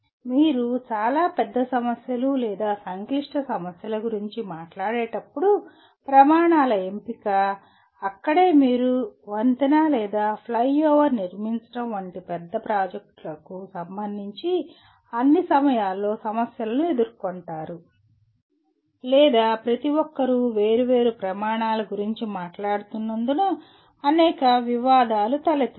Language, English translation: Telugu, When you talk about very big problems or complex problems then selection of criteria, that is where you all the time get into problems with regard to large projects like constructing a bridge or a flyover or any number of controversies will come because each one is talking from a different set of criteria